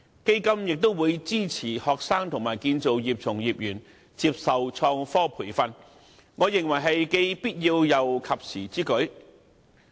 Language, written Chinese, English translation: Cantonese, 基金也會支持學生和建造業從業員接受創科培訓，我認為這是既必要又及時之舉。, ITF will also support students and practitioners of the construction industry to receive innovation and technology training . In my opinion it is essential and timely to do so